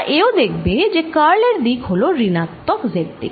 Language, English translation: Bengali, that curl is in the negative z direction